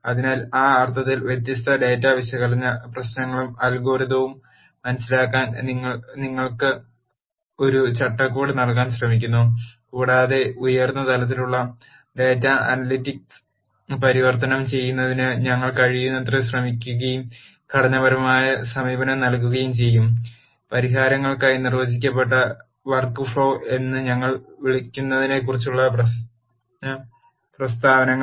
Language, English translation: Malayalam, So, in that sense, you try to give you a framework to understand different data analysis problems and algorithms and we will also as much as possible try and provide a structured approach to convert high level data analytic problem statements into what we call as well defined workflow for solutions